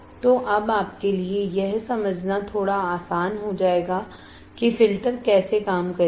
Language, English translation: Hindi, So, now, it will be little bit easier for you to understand how the filter would work, how the filters would work